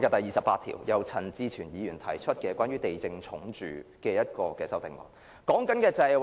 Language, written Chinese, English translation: Cantonese, 讓我談談由陳志全議員提出關乎地政總署的修正案編號28。, 28 proposed by Mr CHAN Chi - chuen concerning the Lands Department LandsD